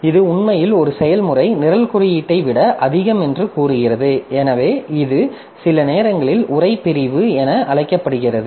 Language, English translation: Tamil, So, this is actually telling that a process is more than the program code, so which is sometimes known as the text section